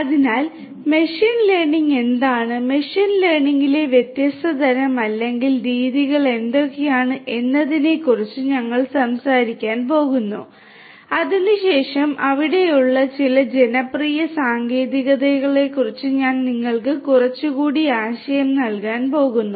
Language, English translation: Malayalam, So, we are going to talk about what machine learning is, what are the different types or methodologies in machine learning which are very popular and thereafter I am going to give you little bit of more idea about some of the different popular techniques that are there